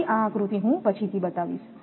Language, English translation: Gujarati, So, this diagram I will come later